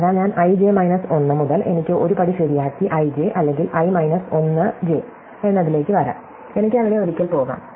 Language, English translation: Malayalam, So, from (i, j 1) I can make one step right and come to (i,j) or from (i 1, j), I can go up once there